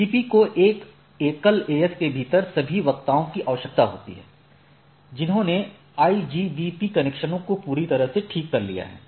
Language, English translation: Hindi, So, BGP requires all speakers within a single AS have fully meshed set of IBGP connections right